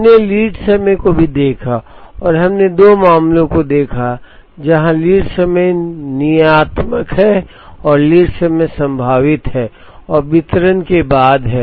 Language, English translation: Hindi, We also looked at lead time and we looked at two cases, where the lead time is deterministic and the lead time is probabilistic and followed a distribution